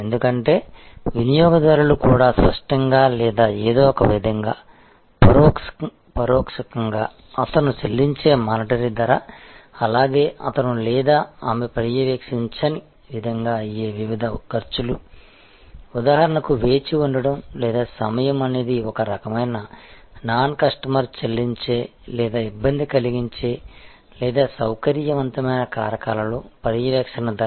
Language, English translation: Telugu, Because, the customer also calculates either explicitly or somehow implicitly, the monitory price paid by him as well as the different costs he or she might incur in a non monitory way for example, the wait or time is actually a kind of a non monitory price the customer pays or hassle or in the convenience factors